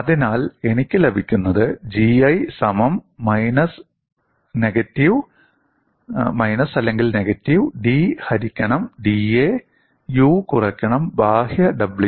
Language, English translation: Malayalam, So, what I get is G 1 equal to minus of d by dA U minus W external